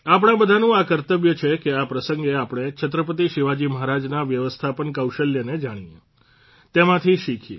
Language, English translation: Gujarati, It is the duty of all of us to know about the management skills of Chhatrapati Shivaji Maharaj on this occasion, learn from him